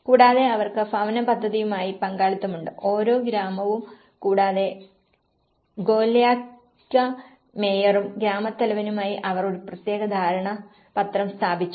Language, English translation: Malayalam, And they have partnership with the housing scheme and here, that they have established certain kind of memorandum of understanding with the head of the village; each village and also by the mayor of Golyaka